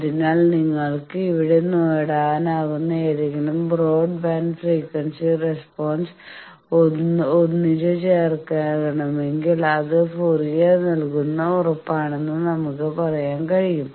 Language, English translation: Malayalam, So, we can say that if you we want to synthesize any broadband frequency response of any shape that can be achieved here that is the guarantee of Fourier